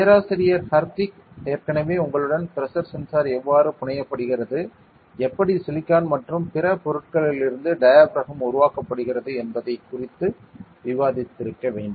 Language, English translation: Tamil, Professor Hardik must have already discussed with you regarding how a pressure sensor is fabricated, how a diaphragm is fabricated out of silicon and other things